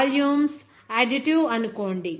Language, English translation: Telugu, Assume that the volumes are additive